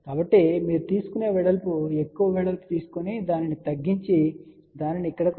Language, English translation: Telugu, So, all you do width is you take a larger width here and taper rate down to this and taper rate down to this here